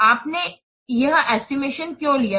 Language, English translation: Hindi, Why you have done this estimate